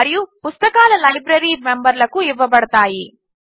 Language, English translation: Telugu, And books can be issued to members of the library